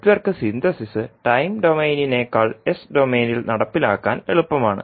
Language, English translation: Malayalam, So Network Synthesis is easier to carry out in the s domain than in the time domain